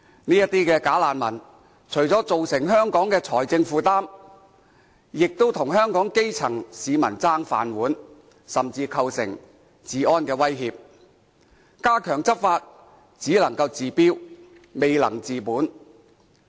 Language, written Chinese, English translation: Cantonese, 這些"假難民"除了增加香港財政負擔，亦跟香港基層市民爭"飯碗"，甚至構成治安威脅，加強執法只能夠治標，未能治本。, Not only do these bogus refugees add to the financial burden of Hong Kong but they also pose a threat to law and order . And stepping up law enforcement is only a palliative measure